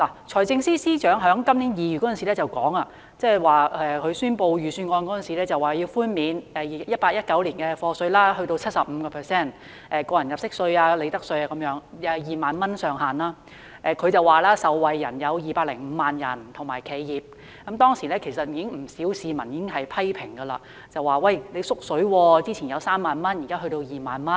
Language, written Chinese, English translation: Cantonese, 財政司司長在今年2月發表財政預算案時提出寬免 2018-2019 課稅年度 75% 的個人入息課稅、利得稅等，以2萬元為上限，他表示受惠人士和企業有205萬，當時其實已遭不少市民批評為"縮水"，因為前一年的上限是3萬元，現在只是2萬元。, In the Budget presented in February this year the Financial Secretary proposed reductions of tax under personal assessment profits tax etc . for the year of assessment 2018 - 2019 by 75 % subject to a ceiling of 20,000 . He said 2.05 million individuals and enterprises would be benefited